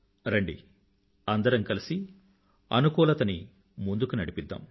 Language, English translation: Telugu, Come, let us take positivity forward